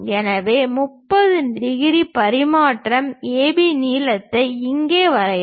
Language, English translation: Tamil, So, draw a line 30 degrees transfer AB length here